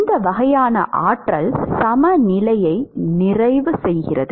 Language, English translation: Tamil, This sort of completes the energy balance